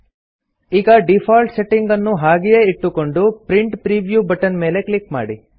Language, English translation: Kannada, Let us keep the default settings and then click on the Print Preview button